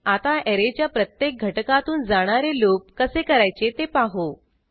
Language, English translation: Marathi, Now, let us understand how to access individual elements in an array